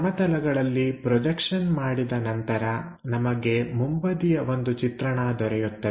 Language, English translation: Kannada, After after projection onto the planes, we will get a front view